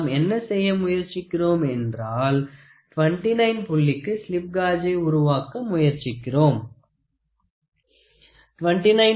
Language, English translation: Tamil, So, now, what we are trying to do is we are trying to build slip gauges for 29 point